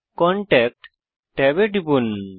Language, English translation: Bengali, Click the Contact tab